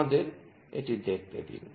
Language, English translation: Bengali, Let us see that